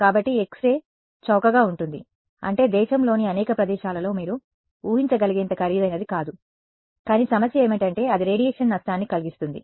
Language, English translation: Telugu, So, X ray is cheap I mean it is not that expensive you can imagine having it in many places in the country, but the problem is it has, it causes radiation damage